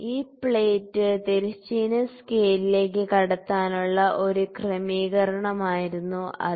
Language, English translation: Malayalam, So, it was an adjustment to make this plate enter into the horizontal scale